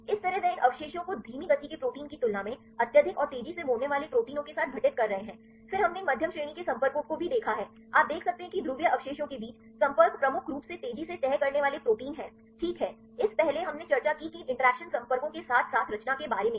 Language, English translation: Hindi, Likewise these residues they are occurring highly and fast fold proteins right compared with the slow fold proteins then also we have see these medium range contacts right, you can see the contact between the polar residues are dominantly fast folding proteins, right, this earlier we discussed about these interactions contacts as well as the composition